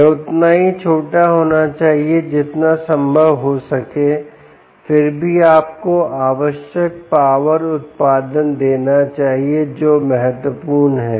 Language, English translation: Hindi, it should be as small as possible, ok, yet it should give you the required power output